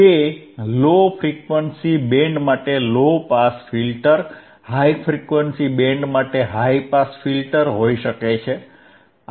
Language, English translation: Gujarati, Iit can be low pass filter than for low frequency band, high pass filter for high frequency band